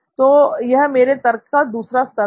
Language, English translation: Hindi, So that was my second level of reasoning